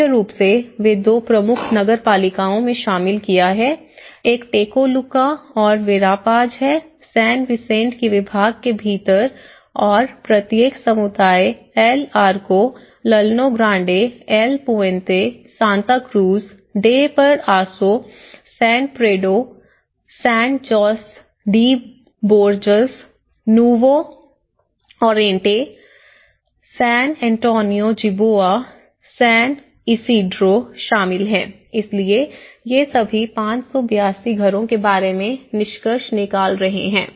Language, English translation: Hindi, Mainly, they have covered in the two major municipalities, one is a Tecoluca and Verapaz, within the department of San Vicente and each community includes El Arco, Llano Grande, El Puente, Santa Cruz de Paraiso, San Pedro, Sand Jose de Borjas, Nuevo Oriente, San Antonio Jiboa, San Isidro so, these are all concluding about 582 houses